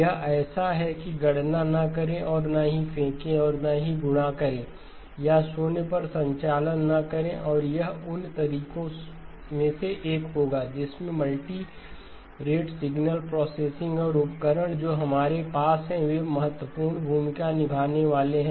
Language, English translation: Hindi, That is like do not compute and throw away or do not multiply or do not do operations on zeros and this will be one of the ways in which multirate signal processing and the tools that we have are going to play an important role